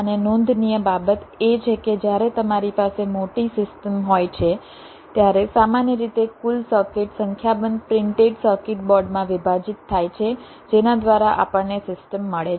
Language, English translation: Gujarati, and the point to note is that when you have a large system, usually the total circuit is divided across a number of printed circuit boards, whereby we get the system